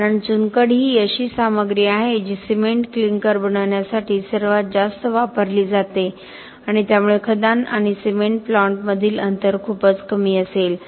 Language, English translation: Marathi, Because limestone is the material that is used most in making the cement clinker and therefore the distance between the quarry and the cement plant will be very low